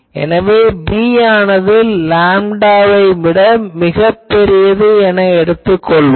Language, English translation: Tamil, So, we can assume that b is much much larger than or you can say lambda